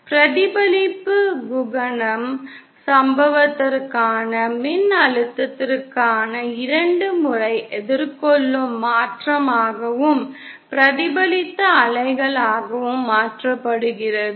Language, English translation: Tamil, The reflection coefficient is changes twice faced change for the voltage for the incident and reflected waves